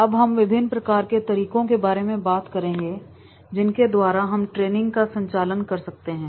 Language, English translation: Hindi, Now, we will talk about the what are the different methods are there through which we can conduct the training programs